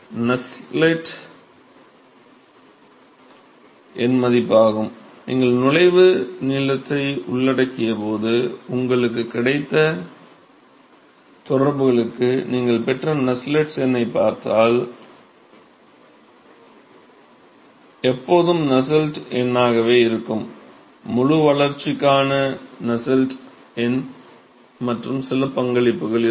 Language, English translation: Tamil, So, the Nusselts number, if you look at the Nusselts number that you got for the correlations that you got when you included entry length is always the Nusselts number will be, Nusselts number for fully developed plus some contribution